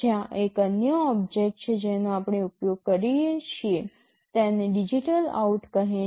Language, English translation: Gujarati, There is another object that we use for that, it is called DigitalOut